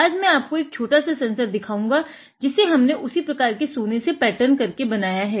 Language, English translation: Hindi, Today, I am going to show you one small sensor that we have made by patterning that same gold ok